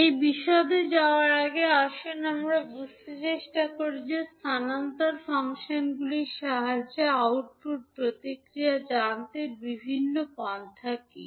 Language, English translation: Bengali, So, before going into that detail, let us try to understand that what are the various approaches to find the output response with the help of transfer functions